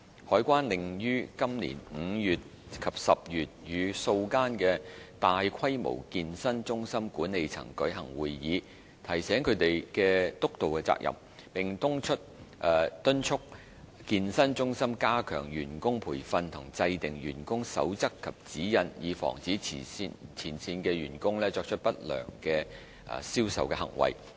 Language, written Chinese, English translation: Cantonese, 海關另於今年5月及10月與數間大規模健身中心管理層舉行會議，提醒他們的督導責任，並敦促健身中心加強員工培訓和制訂員工守則及指引，以防止前線員工作出不良銷售行為。, CED also convened a number of meetings with the management of several large - scale fitness centres in May and October this year . At the meetings CED reminded traders of their supervisory responsibilities and encouraged them to train their staff and formulate staff codes of practices and guidelines so as to prevent frontline staff from deploying unfair trade practices